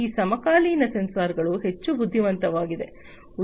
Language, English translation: Kannada, These contemporary sensors have been made much more intelligent